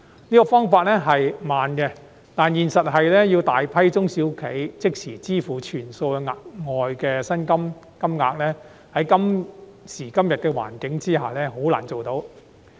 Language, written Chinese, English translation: Cantonese, 這個方法較慢，但現實是要大量中小企即時支付全數額外的薪金金額，在今時今日的環境下很難做到。, While this approach may be slower it actually requires a substantial number of SMEs to pay the additional wage costs in full immediately under the current circumstances